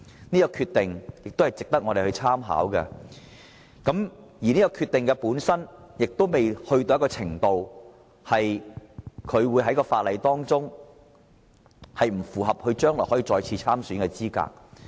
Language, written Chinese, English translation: Cantonese, 有關決定亦值得我們參考，當中的處分程度不致令他將來在法律上不符合再次參選的資格。, The relevant decision is definitely worthy reference to us―from the legal perspective the level of punishment will not deprive him of the eligibility to stand for election again in the future